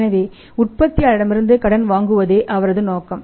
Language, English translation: Tamil, So, his objective is to buy on credit from the manufacturer